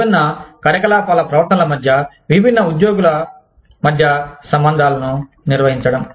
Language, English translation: Telugu, Managing the inter relationships, between the behaviors of different activity, different employees